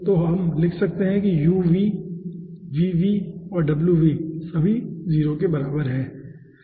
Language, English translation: Hindi, so we can write down that uv, vv and wv, all are equals to 0